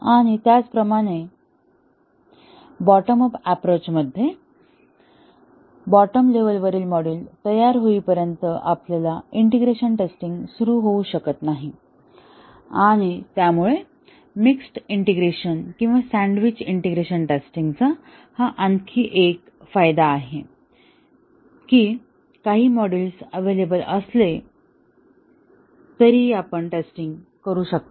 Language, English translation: Marathi, And similarly, in a bottom up approach, our integration testing cannot start until all the bottom level modules are ready, so that is another advantage for mixed integration or sandwiched integration testing that even if some of the modules are available you can start testing